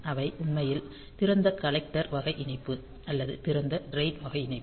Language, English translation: Tamil, So, they are actually open collector type of connection or open drain type of connection